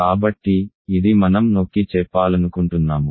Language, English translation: Telugu, So, this is a point I want to emphasize